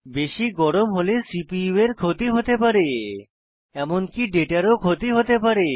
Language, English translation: Bengali, Otherwise, overheating can cause damage to the CPU, often leading to data loss